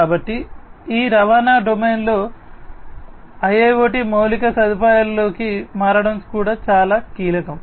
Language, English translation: Telugu, So, securing this turns into the IIoT infrastructure in this transportation domain is also very crucial